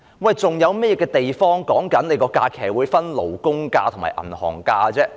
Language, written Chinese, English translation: Cantonese, 世界上還有甚麼地方的假期是分為勞工假期和銀行假期的？, Are there any other places in the world where holidays are divided into statutory holidays and bank holidays?